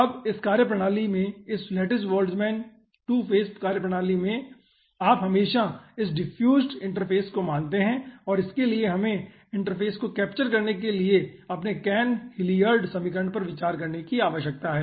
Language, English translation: Hindi, now in this methodology aah, this aah lattice boltzmann 2 phase methodology you always consider this aah diffused interface and for that you need to consider our cahn hilliard equation for interface capturing